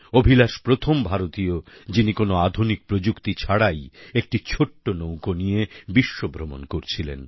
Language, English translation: Bengali, He was the first Indian who set on a global voyage in a small boat without any modern technology